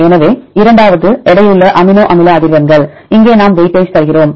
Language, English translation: Tamil, So, the second one this is a weighted amino acid frequencies, here we give weightage